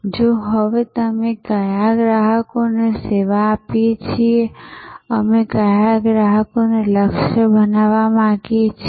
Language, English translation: Gujarati, So, what customers do we serve now and which ones would we like to target